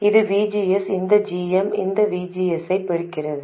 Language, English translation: Tamil, This is VGS and this GM multiplies this VGS